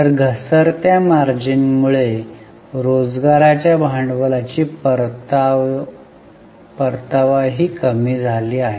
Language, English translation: Marathi, So, because of the falling margins, the return on the capital employed has also fallen